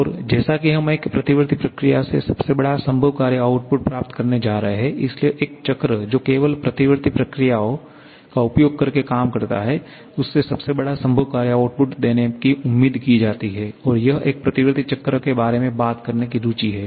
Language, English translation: Hindi, And as we are going to get the largest possible work output from a reversible process, so a cycle which works only using reversible cycles sorry reversible processes is expected to give the largest possible work output and that is the interest of talking about a reversible cycle